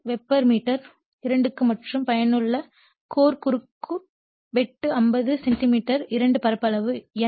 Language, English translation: Tamil, 5 Weber per meter square and on effective core your cross sectional area of 50 centimeter square